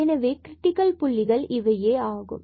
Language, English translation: Tamil, So, these are the critical points